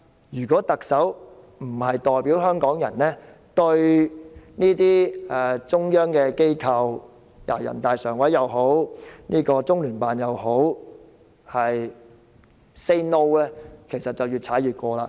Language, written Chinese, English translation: Cantonese, 如果特首不代表香港人對這類中央機構——無論是人大常委會或中聯辦 ——say "No"， 他們便會越踩越近。, If the Chief Executive does not say no on behalf of the Hong Kong people to such kind of central authorities be they NPCSC or LOCPG they will encroach on our side further